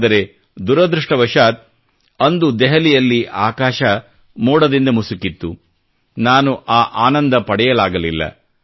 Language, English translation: Kannada, But unfortunately, on that day overcast skies in Delhi prevented me from enjoying the sight